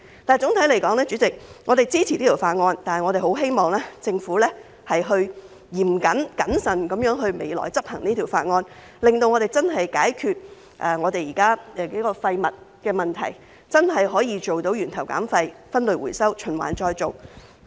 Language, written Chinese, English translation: Cantonese, 代理主席，總體而言，我們支持《條例草案》，但我十分希望政府在未來嚴謹、謹慎地執行《條例草案》，令我們能夠真正解決現在數個涉及廢物的問題，真的做到源頭減廢、分類回收、循環再造。, Deputy President on the whole we support the Bill . Yet I very much hope that the Government will enforce the Bill strictly and prudently in the future so that a number of existing problems involving waste can truly be solved and that waste reduction at source waste separation for recycling and recycling can be achieved